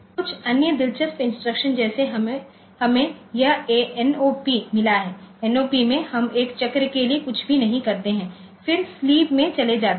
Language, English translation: Hindi, Some other interesting instructions like we have got this NOP, NOP we do nothing for one cycle then sleep